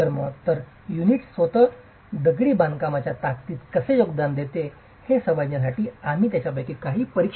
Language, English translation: Marathi, So, we will examine a few of them to understand how the unit contributes to the strength of masonry itself